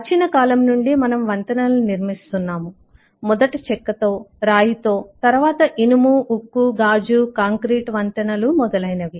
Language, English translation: Telugu, eh, from time immemorial we have been constructing bridges, first with wood, stone, then iron, steel, glass, concrete bridges and so on